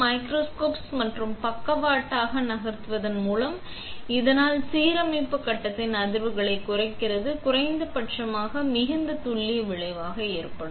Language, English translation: Tamil, The microscopes only move sideways, thus reducing the vibrations of the alignment stage to a minimum resulting in far greater accuracy